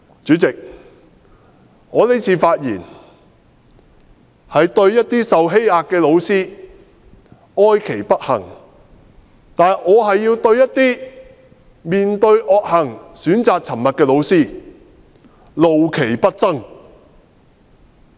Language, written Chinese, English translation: Cantonese, 主席，我這次發言是對一些受欺壓的老師哀其不幸，但是，我還要對一些面對惡行選擇沉默的老師怒其不爭。, President I speak on this occasion not only to express sorrow for the misfortune of the oppressed teacher but also to express anger towards the teachers who have chosen to remain silent in the face of evil deeds